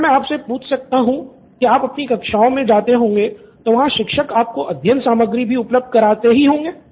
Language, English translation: Hindi, If I may ask in your class you might be attending classes where teachers might be giving out study materials, right